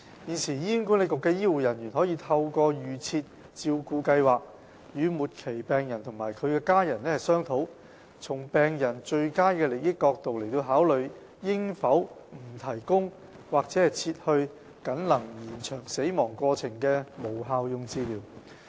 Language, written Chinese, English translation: Cantonese, 現時，醫管局的醫護人員可以透過"預設照顧計劃"，與末期病人及其家人商討，從病人最佳利益角度來考慮，應否不提供或撤去僅能延長死亡過程的無效用治療。, The Advance Care Planning allows health care staff of HA to discuss with terminally ill patients and their families in the best interest of the patients the withholding or withdrawal of futile treatment which merely postpones death